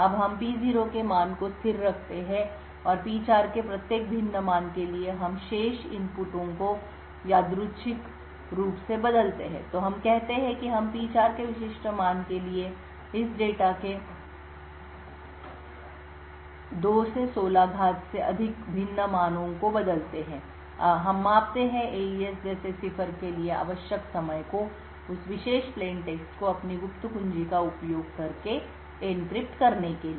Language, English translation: Hindi, Now we keep the value of P0 as constant and for each different value of P4 we change the remaining inputs randomly, so let us say we change for over like 2^16 different values of this data for a specific value of P4, we measure the execution time required for the cipher like AES to encrypt that particular plaintext using its secret key